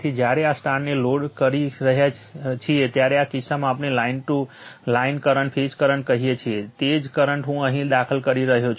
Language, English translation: Gujarati, So, when loading this star in this case, line current is equal to phase current because same current is your what we call, the same current i is going entering here right